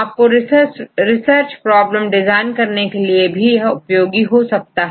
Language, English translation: Hindi, Then this is also help you to design your research problem